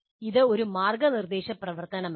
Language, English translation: Malayalam, It is not a guided activity